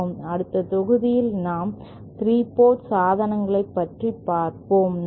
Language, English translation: Tamil, In the next module we shall cover 3 port devices, thank you